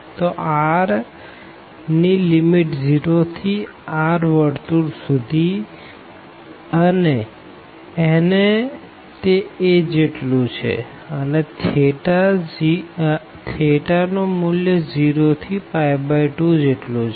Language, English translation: Gujarati, So, the limits of r will be from 0 to the circle r is equal to a, and theta varies from this 0 to theta is equal to pi by 2